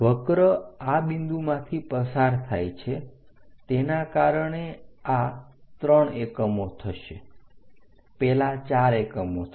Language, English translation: Gujarati, Because curve is passing through this point this will be three units that will be 4 units, so 3 by 4 units we are going to get